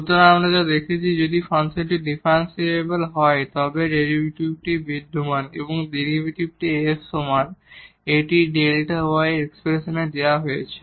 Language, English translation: Bengali, So, what we have seen that if the function is differentiable then the derivative exist and that derivative is equal to A, this is given in this expression of delta y